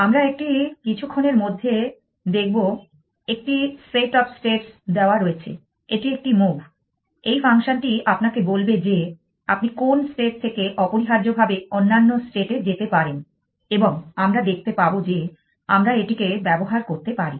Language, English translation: Bengali, We will see in a short life well given set of states it is a move them function will tells you from which state you can go to which other states essentially and we will see that we can play along that as well essentially